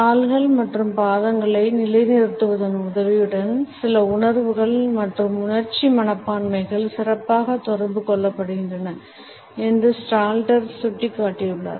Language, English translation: Tamil, And Stalter has pointed out that certain feelings and emotional attitudes are better communicated with the help of our positioning of legs and feet